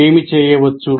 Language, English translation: Telugu, So what can be done